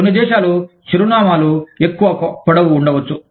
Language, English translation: Telugu, Some countries, the addresses may be longer